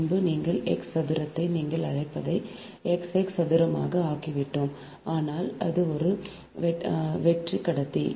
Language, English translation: Tamil, earlier we made ah x square, ah, your, what you call x square upon r square, but that is a hollow conductor